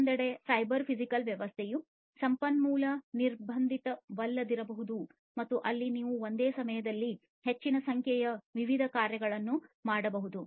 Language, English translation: Kannada, On the other hand, a cyber physical system may not be resource constrained and there you know you can perform large number of different tasks at the same time